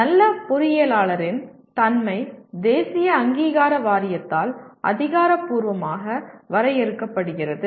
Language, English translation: Tamil, And the nature of good engineer is defined officially by the National Board of Accreditation